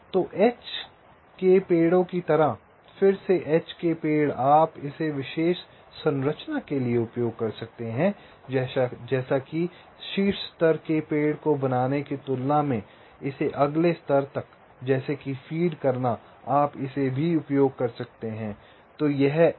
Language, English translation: Hindi, so again, h trees, ah, just like h trees, you can use it for special structure, like creating a top level tree than feeding it to the next level, like that you can use this also